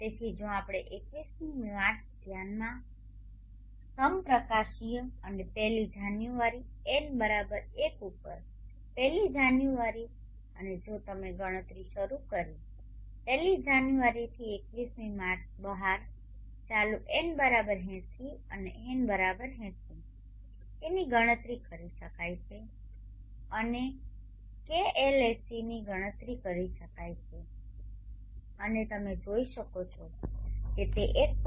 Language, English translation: Gujarati, So if we consider March21st equinox and counting from first of Jan n=1 on first off Jan and if you start counting from first of Jan 21st March will turn out to be n=80 and with n=80 K can be calculated and k lsc can be calculated and you can see that it comes out to 1